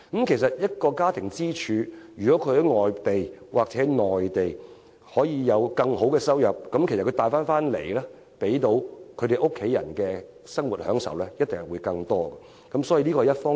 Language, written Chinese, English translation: Cantonese, 其實，當一個家庭的經濟支柱能在外地或內地有更好收入，他帶給家庭成員的生活享受一定會更多。, In fact when the breadwinner of a family can earn more abroad or in the Mainland he will certainly offer his families a more comfortable life